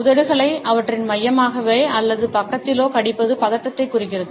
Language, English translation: Tamil, Biting on the lips with their centrally or at the side indicates anxiety